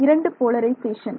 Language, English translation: Tamil, 2 polarizations right